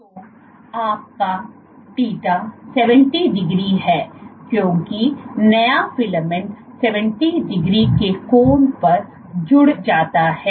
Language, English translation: Hindi, So, your θ is 70 degrees because the new filament gets added at an angle of 70 degrees